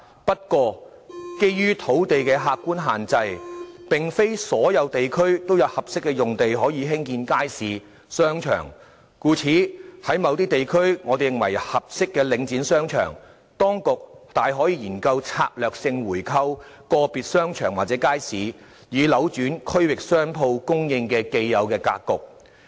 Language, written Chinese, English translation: Cantonese, 不過，基於土地的客觀限制，並非所有地區都有合適的用地可興建街市及商場，故此我們認為，如果在某些地區有合適的領展商場，當局大可研究策略性購回個別商場或街市，以扭轉區域商鋪供應的既有格局。, However given the actual constraint of land supply not all districts can offer suitable lots to build markets and shopping arcades . Therefore we hold that the authorities can consider strategically buying back individual shopping arcades or markets if there are suitable ones under Link REIT in some districts in order to reverse the existing pattern of shop supply in various districts